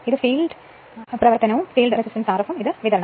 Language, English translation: Malayalam, And this is your field running and field resistance R f and this is the supply right